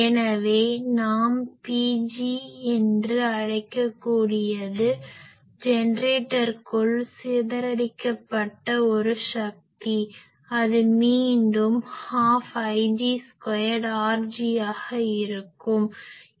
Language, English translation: Tamil, So, that we can call P g is a power that is dissipated inside the generator that will be again half I g square R g